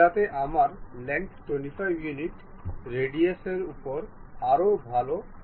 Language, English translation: Bengali, So that I will have a better control on radius 25 units of length, I will draw